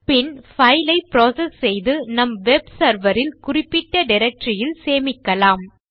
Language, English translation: Tamil, Then we are going to process the file and save it in a specific directory on our web server